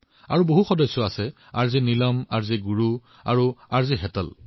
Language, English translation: Assamese, Her other companions are RJ Neelam, RJ Guru and RJ Hetal